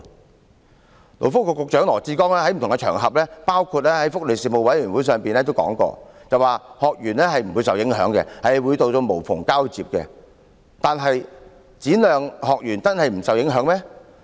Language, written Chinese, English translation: Cantonese, 勞工及福利局局長羅致光在不同的場合，包括福利事務委員會上表示，學員不會受影響，政府會做到無縫交接；可是，展亮中心的學員真的不會受影響嗎？, On different occasions including meetings of the Welfare Panel Dr LAW Chi - kwong the Secretary for Labour and Welfare has said that the trainees will not be affected and the Government will make a seamless handover . However will the students of SSCKT not be affected?